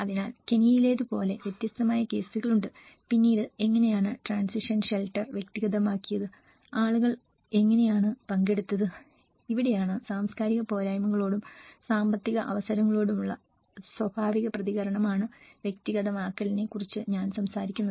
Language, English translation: Malayalam, So, there are different cases we have come across like in Kenya, how the transition shelter has been personalized later on and how people have participated and this is where I talk about the personalization is a natural response to cultural deficiency and also to the economic opportunities